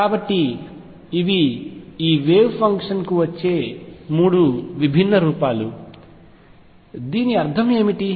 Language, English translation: Telugu, So, these are three different forms that this wave function comes in, and what does it mean